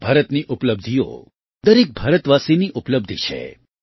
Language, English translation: Gujarati, India's achievements are the achievements of every Indian